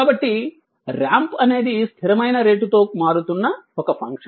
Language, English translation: Telugu, So, a ramp is a function that changes at a constant rate right